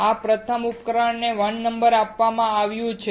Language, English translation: Gujarati, This is first device is numbered 1